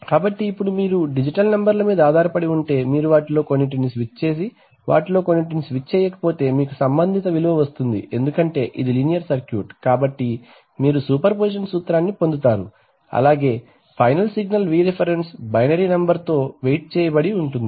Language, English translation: Telugu, So now if you depending on your digital numbers, if you switch on some of them and do not switch on some of them then you get a corresponding, because this is a linear circuit, so you are going to get superposition principle, so the final signal is going to be Vref properly weighted by the, with the binary number waiting